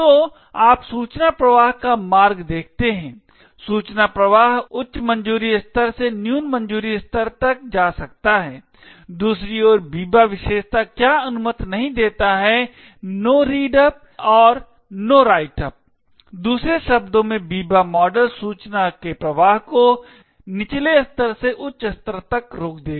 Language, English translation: Hindi, So you see the path of information flow, information flow can go from a higher clearance level to a lower clearance level on the other hand what the Biba property does not permit is the no read up and the no write up, in other words the Biba model would prevent information flow from a lower level to a higher level